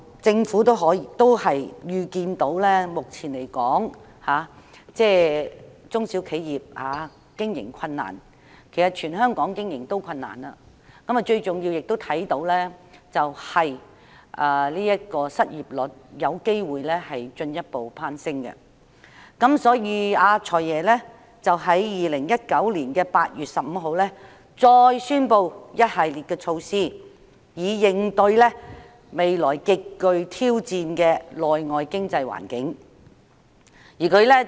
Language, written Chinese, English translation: Cantonese, 政府預視到中小型企業目前經營困難——全港企業其實皆經營困難——最重要的是預計失業率有機會進一步攀升，所以"財爺"在2019年8月15日再宣布一系列措施，以應對未來極具挑戰的內外經濟環境。, As the Government foresaw the current operational difficulties faced by small and medium enterprises SMEs―in fact all enterprises in Hong Kong are operating with difficulties―and most to the point the potential further rise in unemployment rate the Financial Secretary announced again on 15 August 2019 a package of measures to counter the future challenging external and local economic environment